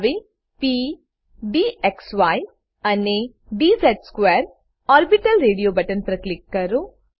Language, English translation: Gujarati, Let us click on p, d xy and d z square orbital radio buttons